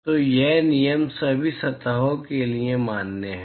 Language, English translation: Hindi, So, this rule is valid for all the surfaces right